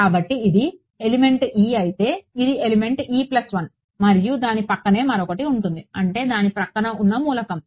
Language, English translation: Telugu, So, if this is element e this is element e plus 1, adjacent to it is going to be I mean the next element next to it